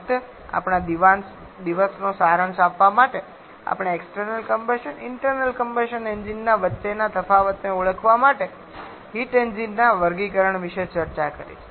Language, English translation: Gujarati, We have discussed about the classification of heat engines to identify the difference between external combustion and internal combustion engines